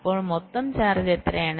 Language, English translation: Malayalam, so what is the total charge